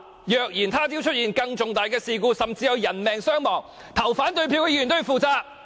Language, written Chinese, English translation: Cantonese, 若日後出現更重大的事故，甚至有人命傷亡，表決反對這項議案的議員必須負上責任。, If a more serious incident occurs in the future resulting in casualties those Members voting against this motion must be held accountable